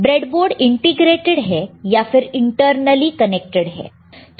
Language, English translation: Hindi, The breadboard is integrated or internally it is connected internally it is connected